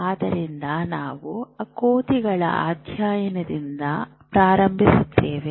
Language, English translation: Kannada, So you will start thinking about monkeys